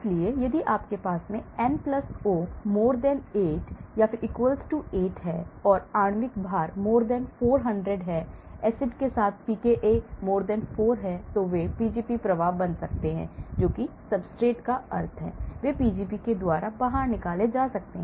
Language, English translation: Hindi, So, if you have N + O > 8 or = 8 and molecular weight > 400, Acid with pKa > 4, then they can become a Pgp efflux that substrate that means, they can get thrown out by Pgp